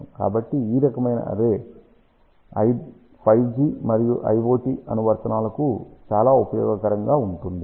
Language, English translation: Telugu, So, this kind of a array would be extremely useful for 5 G and iot applications